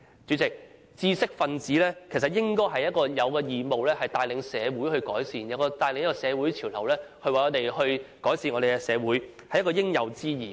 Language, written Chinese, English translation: Cantonese, 主席，知識分子應該有義務帶領社會改善，帶領社會潮流，改善社會，這是應有之義。, President it is the duty of intellectuals to take the lead in making improvements to society . It is incumbent upon them to make social improvements and set social trends